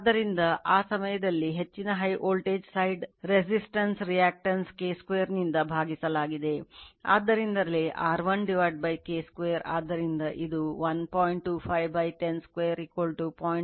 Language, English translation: Kannada, So, in that time high your high voltage side resistance reactance it has to be divided by your K square, so that is why R 1 upon K square